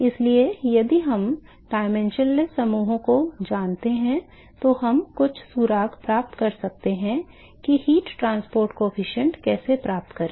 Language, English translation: Hindi, So, therefore, if we know the dimension less groups, then we can get some clue as to how to find the heat transport coefficients